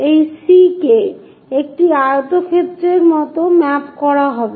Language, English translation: Bengali, This C will be mapped like a rectangle